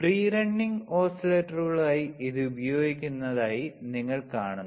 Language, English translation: Malayalam, You as you see that it is used as free running oscillators